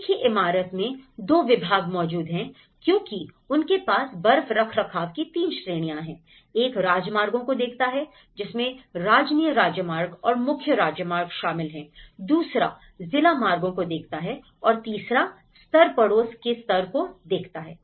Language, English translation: Hindi, In the same building, two departments exist because they have 3 categories of the snow maintenance; one looks at the highways, one looks at the state highways and the main highways, the second one looks the district routes, the third level looks the neighbourhood level